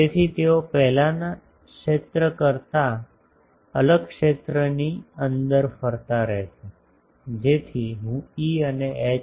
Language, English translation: Gujarati, So, they will be radiating inside a different field than the previous one so that I am writing E and H